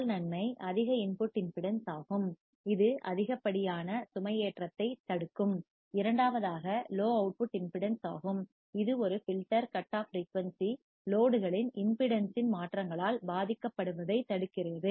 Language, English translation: Tamil, First advantage is high input impedance that will prevent the excessive loading; and second would be the low output impedance, which prevents a filter cut off frequency from being affected by the changes in the impedance of the load